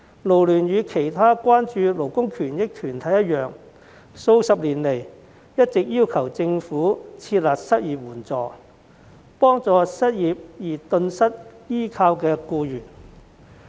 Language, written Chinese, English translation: Cantonese, 勞聯與其他關注勞工權益的團體一樣，數十年來一直要求政府設立失業援助金，幫助因失業而頓失依靠的僱員。, Like other labour rights concern groups FLU has been urging the Government for decades to set up an unemployment assistance fund to help employees who have failed to make ends meet due to unemployment